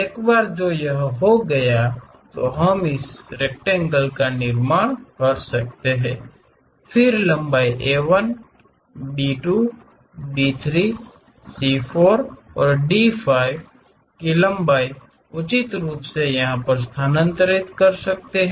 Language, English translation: Hindi, Once that is done we can construct this rectangle, then transfer lengths A 1, B 2, B 3, C 4 and D 5 lengths appropriately